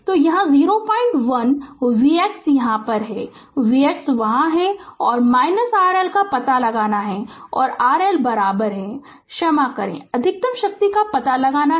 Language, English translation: Hindi, 1 V x is here here V x is there right and you have to find out R L and R L is equal so, I sorry you have to find out maximum power